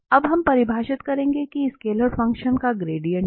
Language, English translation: Hindi, Now we will define that what is a gradient of a scalar function